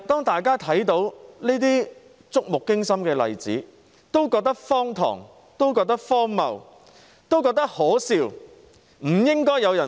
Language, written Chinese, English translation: Cantonese, 大家看到這些觸目驚心的例子，都感到荒唐、荒謬、可笑，難以置信。, Its intention and objective are very much clear . In examining these shocking cases we will realize how absurd ridiculous laughable and unbelievable they are